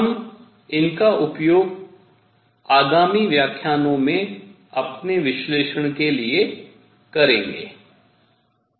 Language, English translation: Hindi, We will use these for our analysis in coming lectures